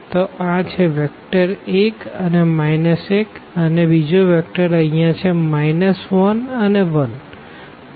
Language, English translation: Gujarati, So, this is the vector 1 minus 1 and then the other vector here we have minus 1 and n 1